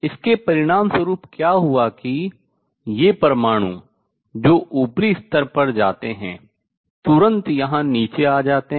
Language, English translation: Hindi, As a result what would happened these atoms that go to the upper level immediately come down here